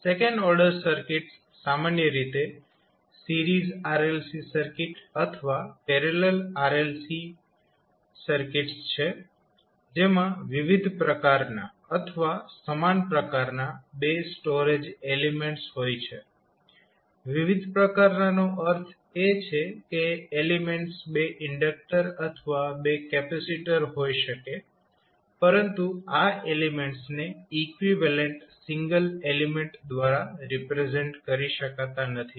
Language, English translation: Gujarati, So, second order circuits can typically series RLC circuit or parallel RLC circuits or maybe the 2 storage elements of the different type or same type; same type means that the elements can be either 2 inductors or 2 capacitors but these elements cannot be represented by an equivalent single element